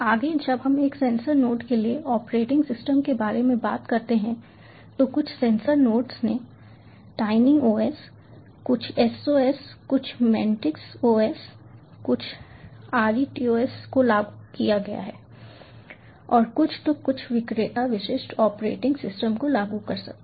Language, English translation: Hindi, further, when we talk about operating systems for a sensor node, some sensor nodes have implemented tiny os, some sos, some mantis os, some retos and some could be even implementing some vendor specific operating system